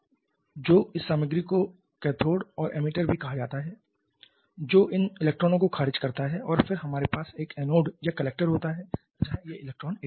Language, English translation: Hindi, So, this material is called cathode we are not all so emitter which rejects this electron and then we have an anode or collector where this electrons are collected